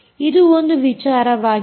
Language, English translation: Kannada, so that is one thing